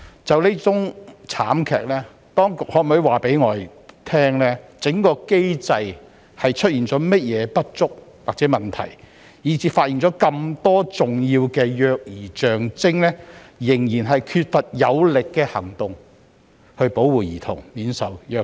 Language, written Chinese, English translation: Cantonese, 就這宗慘劇，當局可否告訴我們，相關機制有何不足或問題，以致即使有人發現這麼多重要的虐兒跡象，但仍然缺乏有力行動來保護兒童免受虐待？, Speaking of this tragedy can the authorities tell us the problems or deficiencies with the relevant mechanism that have rendered it impossible for vigorous actions to be taken to protect the children from abuse even though so many distinct signs of child abuse had been identified?